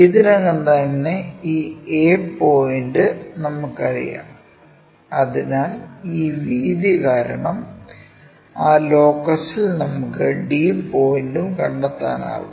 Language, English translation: Malayalam, Already we know this a point, already we know a point, so the on that locus because of this breadth we can locate d point also